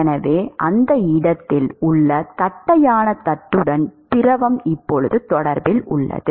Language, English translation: Tamil, So, the fluid is now in contact with the flat plate at that location